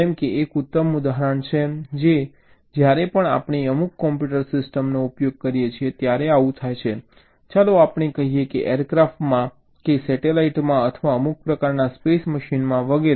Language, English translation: Gujarati, this happens whenever we use some computer systems, lets say in an aircraft or in a satellite or in an some kind of a space machine, and so on